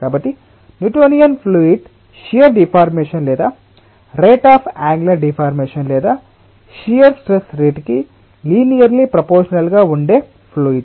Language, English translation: Telugu, so newtonian fluids are those fluids for which the shear stress is linearly proportional to the rate of angular deformation or shear deformation or shear strength